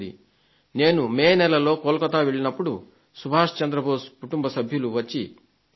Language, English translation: Telugu, I visited Kolkata in the month of May and the family members of Subhash Chandra Bose came to meet me